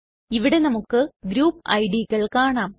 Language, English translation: Malayalam, Here we can see the group ids